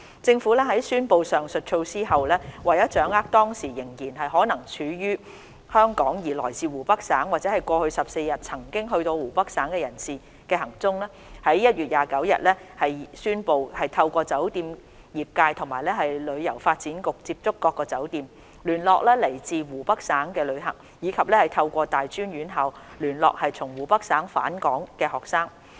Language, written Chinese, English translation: Cantonese, 政府在宣布上述措施後，為掌握當時仍然可能身處香港而來自湖北省或在過去14日曾到過湖北省的人士的行蹤，在1月29日宣布透過酒店業界及旅遊發展局接觸各酒店，聯絡來自湖北省的旅客，以及透過大專院校聯絡從湖北省返港的學生。, After the announcement of the above measure to find out the whereabouts of persons who were from Hubei Province or had visited Hubei Province in the past 14 days and may still be in Hong Kong at that time the Government announced on 29 January that it would reach out to hotels through the hotel industry and the Hong Kong Tourism Board to contact travellers from Hubei Province and also contact students returning to Hong Kong from Hubei Province through tertiary institutions